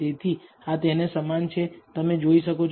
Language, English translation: Gujarati, So, it is very similar to that you can see